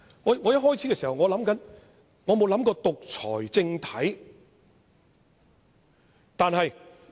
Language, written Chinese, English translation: Cantonese, 一開始時，我沒有想過獨裁政體。, I did not associate the amendments with the totalitarian regime from the outset